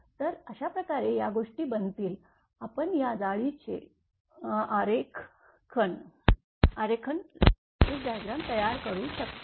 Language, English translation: Marathi, So, that way these things will be, what you call this, this lattice diagram can be constructed